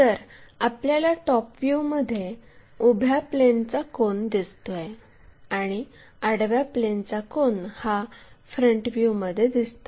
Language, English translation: Marathi, So, with vertical plane angle what we will see it in the top view and the horizontal plane angle we will see it in the front view